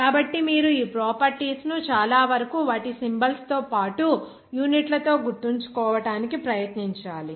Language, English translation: Telugu, So, you have to try to remember most of these properties with their symbols as well as units